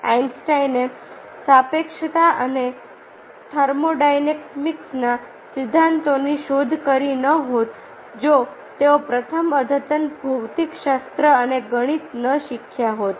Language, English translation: Gujarati, einstein must not have discovered the theories of relativity and thermodynamics had he not first learned the advanced physics and mathematics